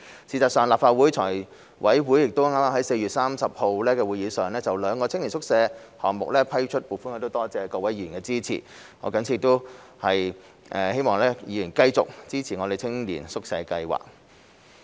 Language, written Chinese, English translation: Cantonese, 事實上，立法會財務委員會剛在4月30日的會議上就兩個青年宿舍項目批出撥款，我多謝各位議員的支持，亦藉此希望議員繼續支持青年宿舍計劃。, In fact the Finance Committee of the Legislative Council has just approved funding for two youth hostel projects at its meeting on 30 April . I would like to thank Members for their support and hope that Members will continue to support the youth hostel projects